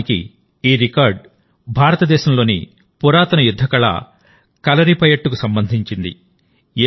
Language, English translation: Telugu, Actually, this record is related to Kalaripayattu, the ancient martial art of India